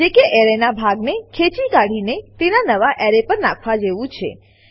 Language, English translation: Gujarati, This is nothing but extracting part of an array and dumping it into a new array